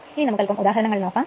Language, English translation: Malayalam, So, now take the example one